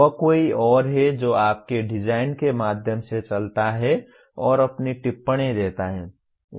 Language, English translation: Hindi, That is somebody else walks through your design and gives his comments